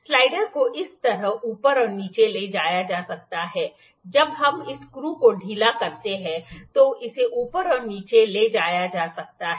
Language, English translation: Hindi, Slider can be moved up and down like this, when we lose this screws it can moved up and down